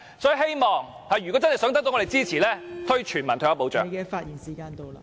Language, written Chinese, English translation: Cantonese, 所以政府如果真的想得到我們支持，便要推行全民退休保障。, Therefore if the Government really wants our support it has to introduce a universal retirement protection system